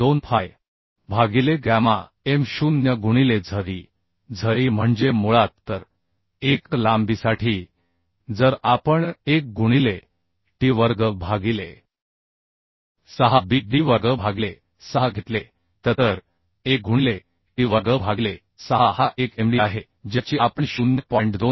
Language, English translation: Marathi, 2 fy by gamma m0 into Ze Ze means basically so for unit length if we take 1 into t square by 6 Bd square by 6 so 1 into t square by 6 this is a Md which we are going to calculate as 0